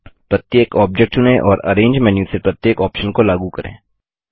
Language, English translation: Hindi, Select each object and apply each option from the arrange menu